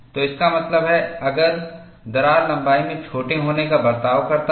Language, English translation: Hindi, So, that means, crack behaves as if it is smaller in length